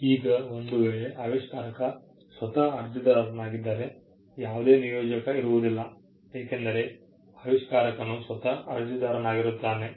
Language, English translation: Kannada, In a case where the inventor himself or herself is the applicant, then, there is no assignment involved because, the inventor also became the applicant